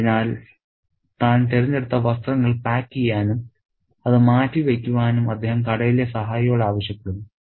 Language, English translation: Malayalam, So, he just asks the shop assistant to pack the clothes that he has selected and kept apart